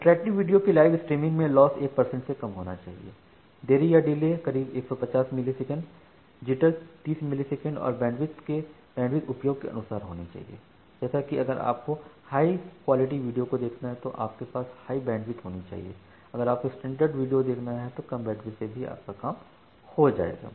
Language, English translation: Hindi, For interactive video like the live streaming, the lost need to be less than 1 percent the delay can be around 150 milliseconds the jitter need to be 30 millisecond and the bandwidth is on demand like if you are watching a high quality video you will require high bandwidth